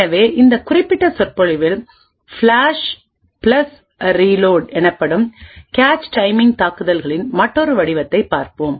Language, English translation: Tamil, So, in this particular lecture we will be looking at another form of cache timing attacks known as the Flush + Reload